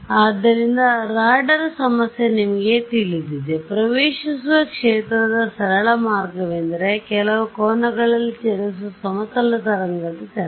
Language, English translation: Kannada, So, you know radar problem for example, the simplest way of incident field is a plane wave travelling at some angle